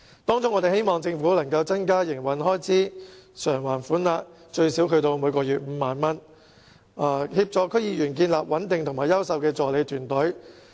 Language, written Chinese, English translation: Cantonese, 當中，我們希望政府能增加營運開支償還款額至最少每月5萬元，以協助區議員建立穩定而優秀的助理團隊。, Among such measures we hope that the Government can increase the Operating Expenses Reimbursement OER to at least 50,000 monthly to help each DC member establish a stable and excellent team of assistants